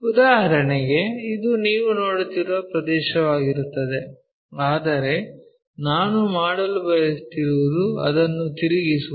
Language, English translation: Kannada, For example, this is the area what you are seeing, but what I am trying to do is rotate it